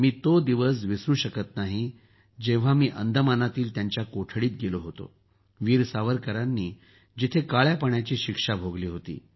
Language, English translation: Marathi, I cannot forget the day when I went to the cell in Andaman where Veer Savarkar underwent the sentence of Kalapani